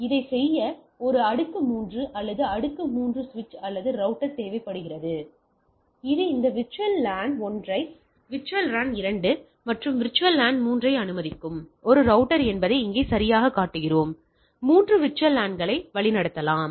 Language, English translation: Tamil, You require a layer 3, or layer 3 switch or router to do that that what exactly here also we are showing that this is a router which allows this VLAN 1, VLAN 2 and VLAN 3; 3 VLANs to be can be routed things